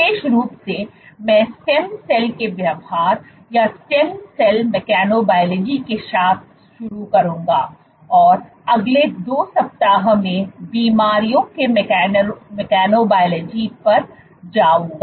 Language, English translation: Hindi, Specifically, I will start with behavior of stem cells or mechanobiology of stem cells and go on to mechanobiology of diseases over the next 2 weeks